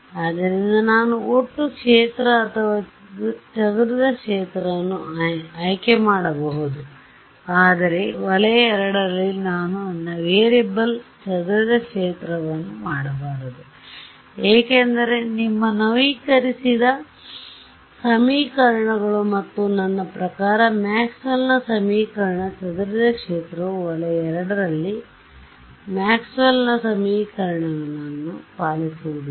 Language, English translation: Kannada, So, I can choose the total field or the scattered field, but in region II I should not make my variable scattered field, because your update equations and I mean Maxwell’s equation scattered field does not obey Maxwell’s equations in the region II